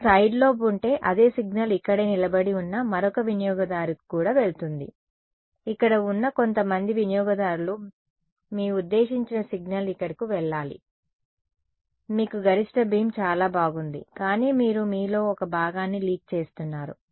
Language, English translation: Telugu, But if you have a side lobe that same signal is also going to another user that is standing over here right, some users here your intended signal is supposed to go here you have the maximum beam very good, but your leaking your one part of the beam over here